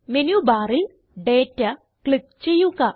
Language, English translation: Malayalam, From the Menu bar, click Data and Sort